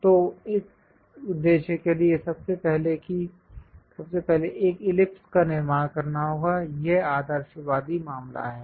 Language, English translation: Hindi, So, for that purpose, first of all, one has to construct an ellipse, this is the idealistic case